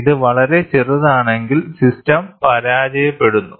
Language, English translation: Malayalam, So, if it is very small, the system fails